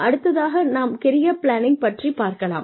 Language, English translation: Tamil, And then, we come to Career Planning